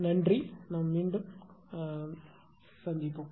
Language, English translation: Tamil, Thank you we will back